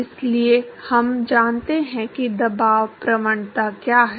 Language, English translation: Hindi, So, therefore, we know what the pressure gradient is